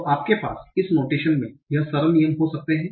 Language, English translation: Hindi, So you can have these simple rules in this notation